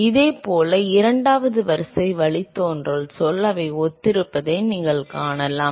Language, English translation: Tamil, Similarly, the second order derivative term also, you can see that they are similar